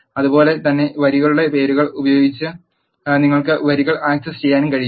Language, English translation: Malayalam, Similarly you can also access the rows by using the names of the rows